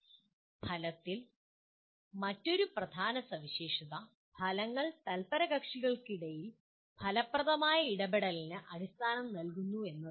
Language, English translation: Malayalam, And the another major feature of outcome is outcomes provide the basis for an effective interaction among stakeholders